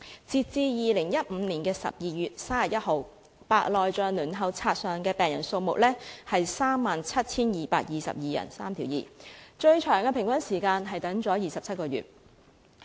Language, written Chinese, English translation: Cantonese, 截至2015年12月31日，白內障輪候冊上的病人數目是 37,222 人，平均輪候時間最長為27個月。, As at 31 December 2015 the number of patients waitlisted for cataract surgery was 37 222 . The longest average waiting time was 27 months